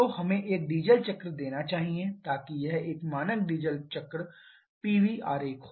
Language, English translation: Hindi, So, let us have a diesel cycle so this is a standard diesel cycle PV diagram